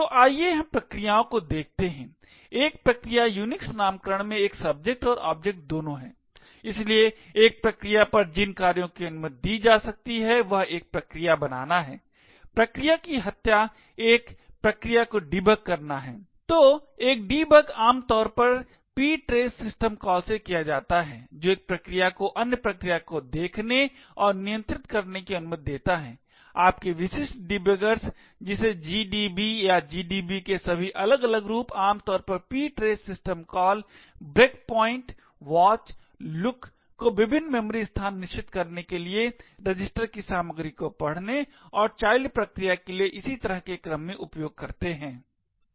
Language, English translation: Hindi, So let us look at processes, a process is both a subject and object in the UNIX nomenclature, so the operations that can be permitted on a process is to create a process, killer process or debug a process, so a debug is typically done with a ptrace system call that allows one process to observe and control the other process, your typical debuggers such as the GDB or all the different variants of GDB would typically use the ptrace system call in order to set a breakpoints, watch, look at the various memory locations, read the register contents and so on for the child process